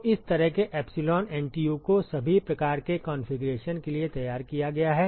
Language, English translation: Hindi, So, such epsilon NTU has been worked out for all kinds of configurations